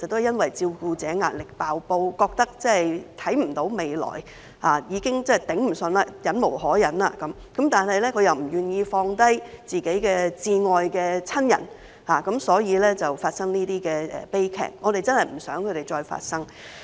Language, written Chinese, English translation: Cantonese, 因為照顧者的壓力"爆煲"，感覺看不到未來，已經支持不住，忍無可忍，但他們又不願意放下自己至愛的親人，因而發生這些悲劇，我們真的不想再發生。, These tragedies occurred because the carers were overburdened with excessive pressure and felt like having no future . They could not endure any longer but were not willing to leave behind their dear ones which had led to the tragedies . We really want to see an end to such tragedies